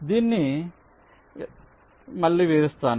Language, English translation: Telugu, ok, let me again illustrate this